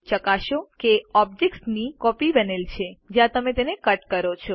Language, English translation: Gujarati, Check if a copy of the object is made when you cut it